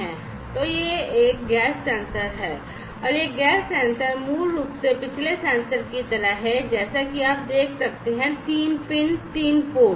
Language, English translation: Hindi, So, this is the gas sensor, this is a gas sensor right, and this gas sensor basically like the previous sensors as you can see has 3 pins 3; pins, 3 ports